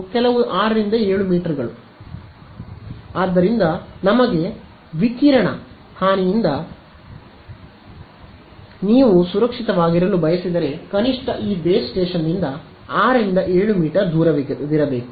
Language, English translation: Kannada, Some 6 7 meters; so, if you want to be safe from radiation damage to yourselves should be at least this distance away from a base station